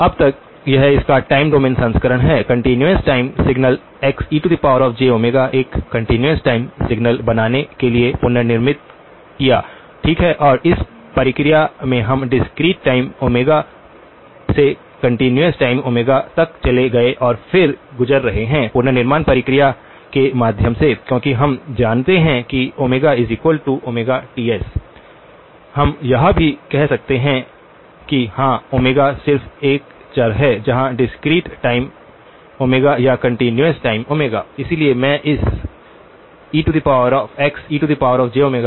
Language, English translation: Hindi, So far this is the time domain version of it, the continuous time signal xe of j omega, reconstructed to form a continuous time signal, right and in the process we went from the discrete time omega to the continuous time omega and then passing through the reconstruction process, since we know that omega is related to omega times Ts, we can also say that yes, omega is just a variable whether is the discrete time omega or the continuous time omega